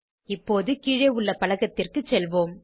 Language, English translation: Tamil, Now lets move to the panel below